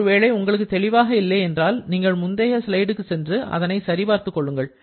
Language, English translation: Tamil, If you are not sure, just go to the previous slide to check